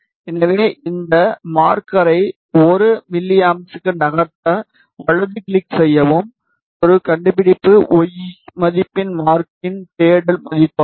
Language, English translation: Tamil, So, to move this marker to 1 milliampere, right click, marker search value of one find y value which is the current and search towards the left search